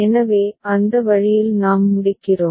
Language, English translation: Tamil, So, that way we complete